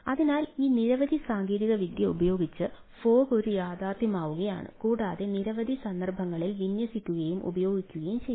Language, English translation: Malayalam, so with this ah several enabling technology, fog is a becoming a reality and being deployed and used in several cases